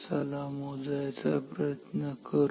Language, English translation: Marathi, So, let us calculate